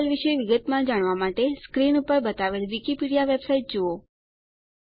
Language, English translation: Gujarati, To know more about DDL visit the Wikipedia website shown on the screen